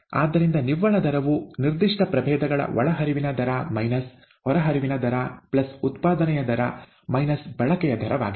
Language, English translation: Kannada, Therefore the net rate is rate of input minus rate of output plus the rate of generation minus the rate of consumption of that particular species